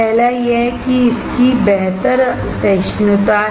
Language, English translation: Hindi, First is that it has better tolerance